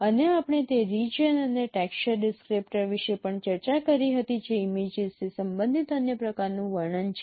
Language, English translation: Gujarati, And we discussed also the region and texture descriptors that is another kind of description of related to images